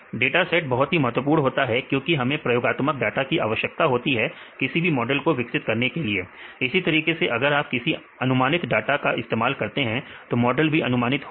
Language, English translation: Hindi, Dataset is very important because we need the experimental data for developing any model if you use any predicted data that is also predicted